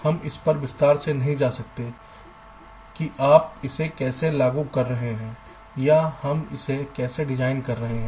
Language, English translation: Hindi, we are not going into detail as to how you are implementing it or how you are designing it